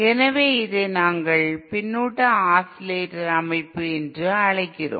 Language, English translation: Tamil, So this is what we call a feedback oscillator system